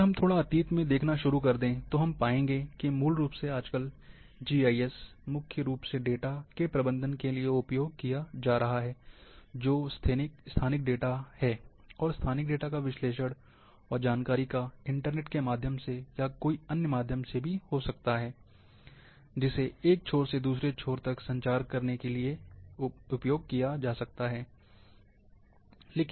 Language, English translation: Hindi, If we start looking little past, we will find, that basically the GIS presently, is being used mainly for manage data, that is spatial data, and analyze spatial data, and communicate information, from one end to another, may be through net, may be otherwise